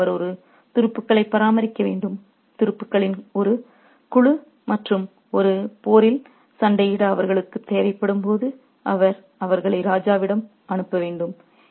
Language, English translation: Tamil, So, he has to maintain a body of troops, a contingent of troops, and he has to send them to the king when he needs them to fight a battle